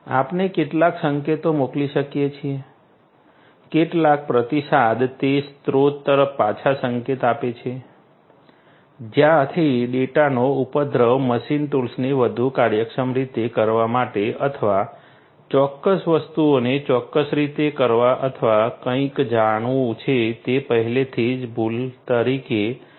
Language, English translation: Gujarati, We can send some signals; some feedback signals back to the source from where the data originated to make the machine tool work in a much more efficient manner or do certain things in a certain way or you know correct something that has already been done as a mistake